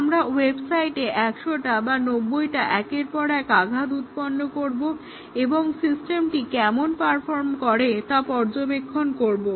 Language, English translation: Bengali, We will have 100 simultaneous hits generated on the website or may be 90 hits generated and we check what how does the system perform